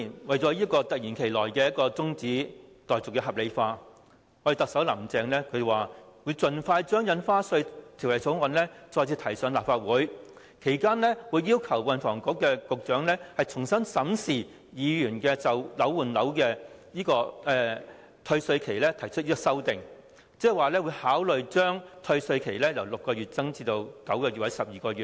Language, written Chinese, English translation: Cantonese, 為了令突如其來的休會待續議案合理化，特首"林鄭"表示，會盡快將《條例草案》再次提交立法會，其間會要求運輸及房屋局局長重新審視議員就換樓退稅期提出的修訂，即考慮將退稅期由6個月延長至9個月或12個月。, In order to justify the abrupt adjournment motion Chief Executive Carrie LAM said that the Bill would be introduced to the Legislative Council again as soon as possible and that in the meantime she would instruct the Secretary for Transport and Housing to re - examine Members amendments in respect of the time limit for property replacement under the refund mechanism . In other words considerations would be given to the proposal to extend the time limit for tax refund from 6 months to 9 months or 12 months